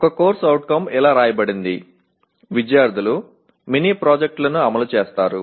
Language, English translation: Telugu, So one CO written was students will execute many projects